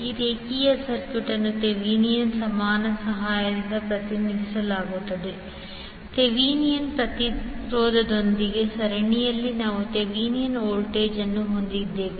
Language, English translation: Kannada, This linear circuit will be represented with the help of Thevenin equivalent, we will have Thevenin voltage in series with Thevenin impedance